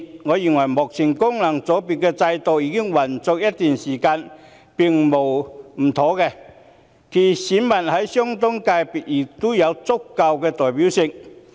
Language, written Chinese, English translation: Cantonese, 我認為，功能界別現行制度已運作一段時間，並無不妥；其選民在相關界別亦有足夠代表性。, I believe that there is nothing wrong with the existing system of FCs which has operating for a period of time and the electors are also sufficiently representative in their relevant constituencies